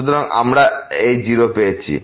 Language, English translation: Bengali, So, we got this 0